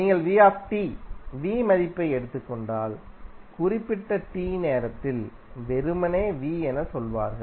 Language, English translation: Tamil, And if you take value minus V t, V at time at particular time t then you will say simply as V